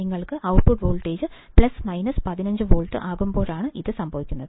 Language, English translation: Malayalam, Now this is when your output voltage is plus minus 15 volts